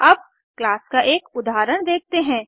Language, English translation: Hindi, Let us look at an example of a class